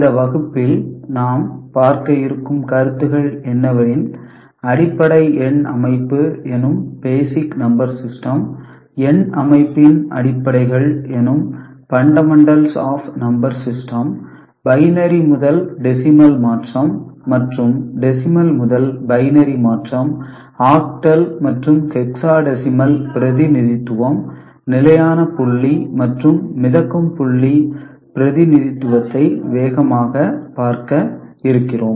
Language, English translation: Tamil, Today’s class we shall cover some of these concepts, basic number system, fundamentals of number system, binary to decimal and decimal to binary conversion, octal and hexadecimal representation, and we shall have a quick look at fixed point and floating point representation